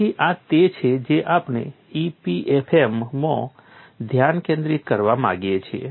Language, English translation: Gujarati, So, this is what we want to keep that as a focus in EPFM